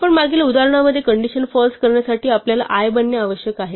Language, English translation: Marathi, In our previous example, in order to make the condition false we need to i to become 0